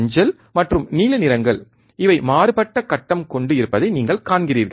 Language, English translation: Tamil, You see yellow and blue these are out of phase